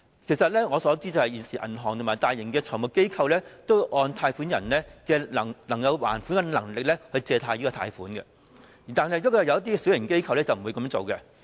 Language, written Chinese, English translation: Cantonese, 據我所知，現時銀行和大型財務機構都會按照借款人的還款能力批出貸款，但一些小型機構則不會這樣做。, As far as I know banks and large - scale financial institutions are now approving loans in accordance with the repayment capacity of the borrowers but some small - scale institutions do not do the same